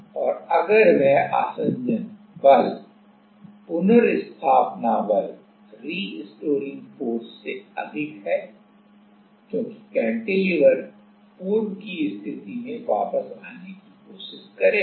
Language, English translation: Hindi, And, if that adhesion force is higher than the restoring force, because the cantilever will trying to come back to it is normal position